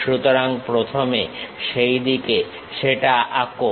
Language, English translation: Bengali, So, first draw that one in that way